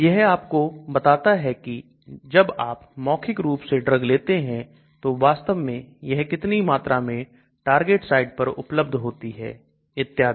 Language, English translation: Hindi, It tells you when I take a drug orally how much is actually available at the target site and so on actually